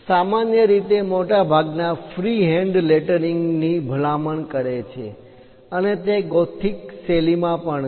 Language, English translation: Gujarati, Usually, it is recommended most freehand lettering, and that’s also in a gothic style